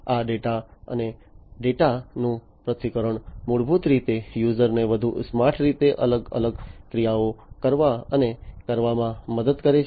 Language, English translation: Gujarati, And these data and the analysis of the data basically help the users in acting, in acting and making different performing different actions, in a smarter way